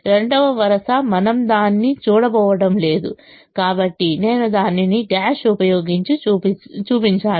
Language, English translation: Telugu, the second row we are not going to look at it, therefore i have shown it using a dash